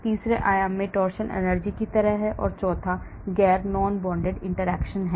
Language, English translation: Hindi, Torsion energy is like in the third dimension, and the fourth one is the non bonded interaction